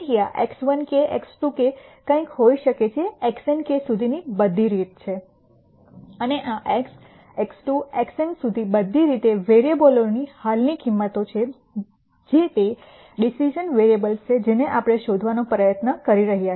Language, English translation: Gujarati, So, this could be something like x 1 k, x 2 k all the way up to x n k and these are the current values for variables x 1, x 2 all the way up to x n which are the decision variables that we are trying to find